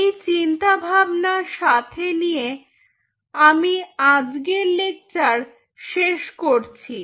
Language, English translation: Bengali, so with this thinking i will closing this lecture